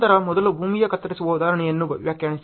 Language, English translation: Kannada, Then so, first define the problem earth cutting example